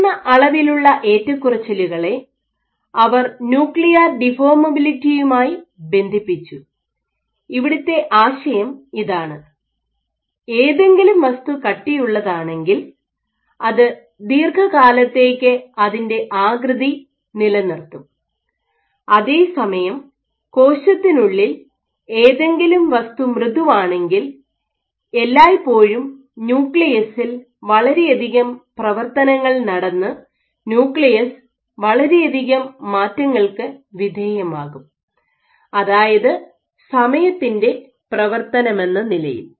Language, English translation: Malayalam, So, the higher amount of fluctuation is linked they linked it with nuclear deformability, the idea being if something is rigid then it will retain its shape for extended periods of time while if something is floppy particularly within the cell there is always, so much of activity going on the nucleus will be subjected to lot more changes in area as a function of time